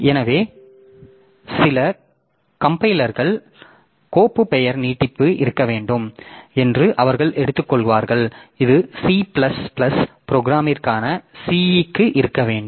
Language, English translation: Tamil, So, some compilers they will take that the file name should extension should be C for say for the C program, C C++ program like that